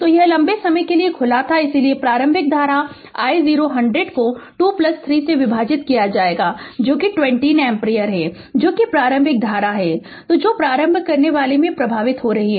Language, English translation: Hindi, So, it was open for a long time so initial current that I 0 will be 100 divided by 2 plus 3 that is 20 ampere that is the initial current that is flowing to the inductor right and that I x 0 at it will be 0